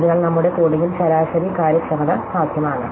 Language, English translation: Malayalam, So, in our coding the average efficient is possible